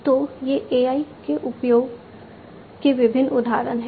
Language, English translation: Hindi, So, these are different examples of use of AI